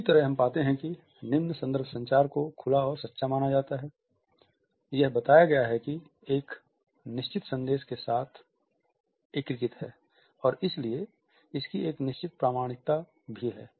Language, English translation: Hindi, In the same way we find that low context communication is believed to be open and true, it is suggested that it is integrated with a certain directness and therefore, it has a certain authenticity also